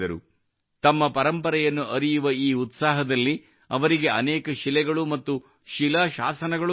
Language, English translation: Kannada, In his passion to know his heritage, he found many stones and inscriptions